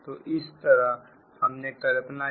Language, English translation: Hindi, so thats why we have written here